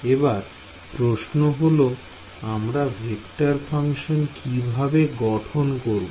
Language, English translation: Bengali, So, now the question is how do I try to construct vector functions out of this